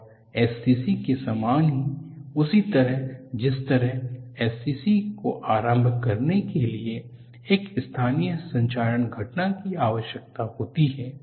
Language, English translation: Hindi, And very similar to SCC, in much the same way that a localized corrosion event is needed to initiate SCC